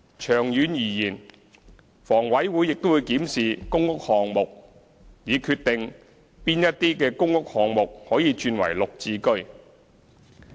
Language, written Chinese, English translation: Cantonese, 長遠而言，房委會亦會檢視公屋項目，以決定哪些公屋項目可以轉為"綠置居"。, In the long run HA will further evaluate whether or not PRH projects should be converted to GSH on a project - by - project basis